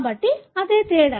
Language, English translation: Telugu, So, that is the difference